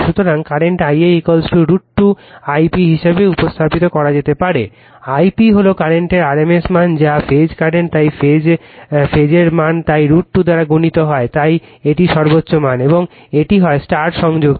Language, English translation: Bengali, So, current also can be represented as i a is equal to root 2 I p, I p is the your what you call rms value of the current that is your phase current right, so phase value, so multiplied by root 2, so this is your peak value right, and it is star connected